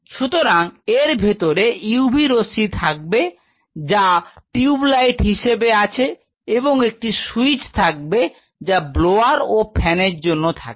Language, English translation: Bengali, So, this will have a UV fixture they will have tube light these are the major fixtures and they have a switch for the blowers or the fans